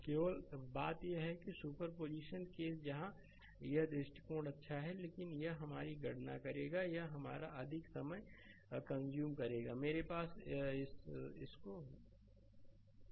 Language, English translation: Hindi, Only thing is that superposition case where this approach is good, but it will compute your, it will consume your more time right